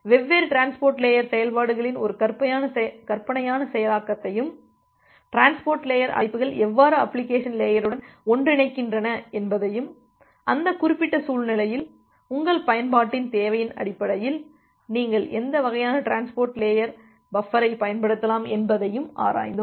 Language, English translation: Tamil, And we have looked into a hypothetical implementation of different transport layer functions and how the transport layer calls are getting interfaced with the application layer and in that particular scenario what type of transport layer buffers you can use based on your need of the application